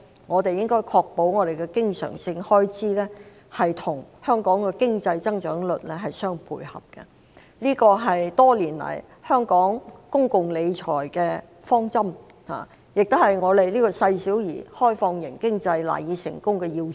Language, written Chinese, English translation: Cantonese, 我們應確保經常性開支與香港的經濟增長率相配合，這是多年來香港公共理財的方針，亦是香港這個細小而開放型經濟賴以成功的要素。, We should ensure that the recurrent expenditure is kept in line with Hong Kongs economic growth rate . This has been the approach adopted by Hong Kong in managing public finances for years and this is the cornerstone of the success of Hong Kong a small and open economy